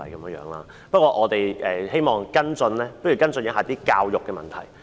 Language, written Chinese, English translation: Cantonese, 不過，不如我們跟進一下教育的問題。, But perhaps let us follow up the issue of education